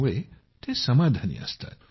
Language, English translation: Marathi, So those people remain satisfied